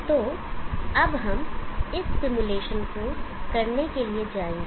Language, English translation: Hindi, So now we will go to performing this simulation